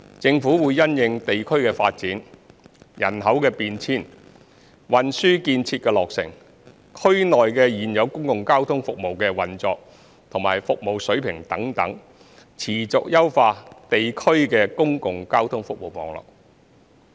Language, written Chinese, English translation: Cantonese, 政府會因應地區發展、人口變遷、運輸建設的落成、區內現有公共交通服務的運作和服務水平等，持續優化地區的公共交通服務網絡。, The Government will continuously enhance the public transport networks in the districts to meet passenger demands having regard to the local developments demographic changes completion of transport facilities and the operation and service levels of the existing public transport services in the districts etc